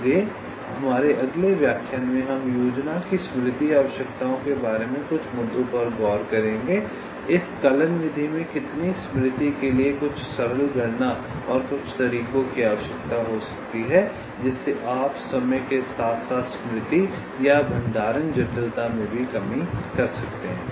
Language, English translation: Hindi, so in our next lecture we shall look at some issues regarding the memory requirements of this scheme, how much memory it can require, some simple calculation and some ways in which you can reduce the time, as well as the memory or in storage complexity in this algorithm